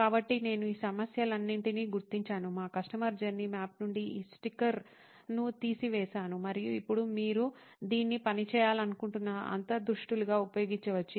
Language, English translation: Telugu, So, I noted all these problems down, pulled out these sticker from our customer journey map and now you can use this as insights that you want to work on